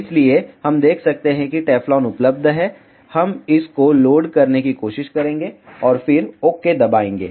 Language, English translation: Hindi, So, we can see Teflon is available we will try to load this one and then press ok